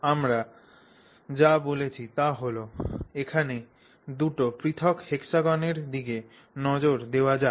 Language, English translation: Bengali, So, so, what we are saying is let's look at two different hexagons